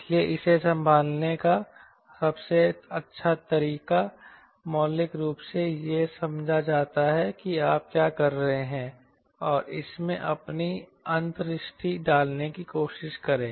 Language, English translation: Hindi, so best way to handle this is understand fundamentally what you are doing and try to put your insight it